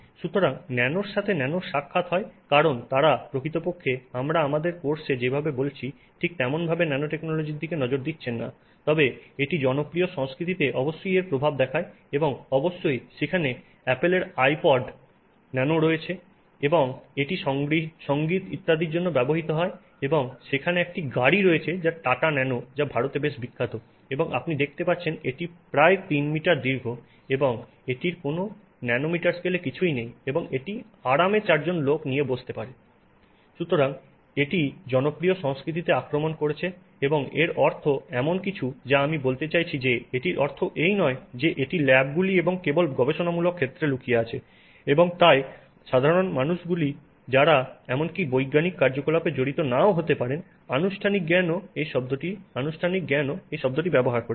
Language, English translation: Bengali, We also see some examples just out of for sake of complete completeness where which I would refer to as not so nano encounters with nano because they are not really looking at nanotechnology in sort of the same way that we are perhaps talking about in in our course but it is it shows the impact of this in popular culture and of course there is the Apple iPod Nano and which is for music and so on and there is the car which is a Tata Nano which was quite famous in India and as you can see it is three meters long it is nothing is in a nanometer scale there and it comfortably see it for people so so it has invaded popular culture and that says something I mean it is not something it means that you know it is not something that is you know hidden in labs and only in research facilities and so on the general public who may not even be involved in scientific activity in the formal sense are also using this term and it means something to them and we have to be aware of it as scientists that you know that it is there and therefore when we explain nanotechnology to the general public we should understand that they may have a different perspective of it and we would have to make a little extra effort to convey this idea to them